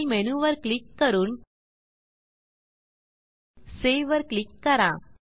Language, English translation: Marathi, Now let us click on File menu and click on the Save option